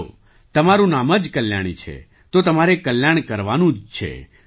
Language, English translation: Gujarati, Well, your name is Kalyani, so you have to look after welfare